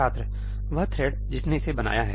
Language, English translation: Hindi, The thread which created it